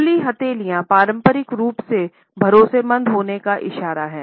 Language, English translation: Hindi, Open palms are traditionally a gesture of trustworthiness